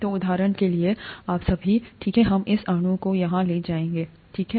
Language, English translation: Hindi, So for example, you all, okay let us take this molecule here, okay